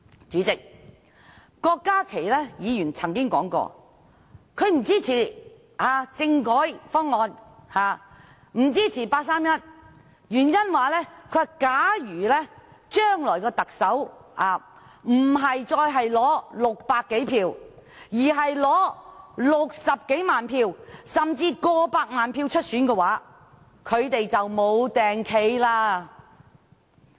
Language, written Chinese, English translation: Cantonese, 主席，郭家麒議員曾經說不支持政改方案及八三一方案，原因是，假如將來的特首不再是取得600多票，而是取得60多萬票甚至過百萬票出選的話，他們就無地位了。, President Dr KWOK Ka - ki once said that he would not support the constitutional reform proposals and the 31 August proposals because they would lose their position if the future Chief Executive is not elected by over 600 people but by over 600 000 or even over 1 million people